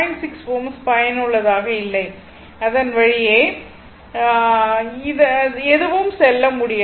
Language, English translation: Tamil, 6 ohm is not effective nothing will go through this